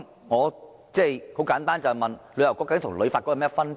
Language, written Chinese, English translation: Cantonese, 我想請問，究竟旅遊局與旅發局有甚麼分別？, May I ask what the differences between a Tourism Bureau and HKTB are?